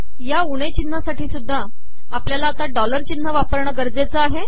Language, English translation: Marathi, We need to use dollar symbol for minus sign also